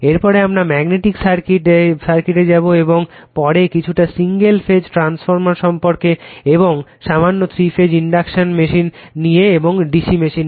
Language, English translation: Bengali, Next we will take the magnetic circuits and after that a little bit of single phase transformer and , little bit of three phase induction machines and d c machines so